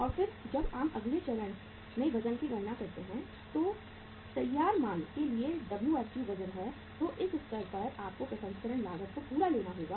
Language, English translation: Hindi, And then when you calculate the weight at the next stage that is the Wfg weight for the finished good so at that level you have to take the processing cost as full